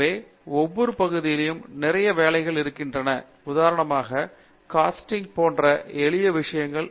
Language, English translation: Tamil, So, in each of these areas there is a lot of work that is going on, for example; simple thing like Casting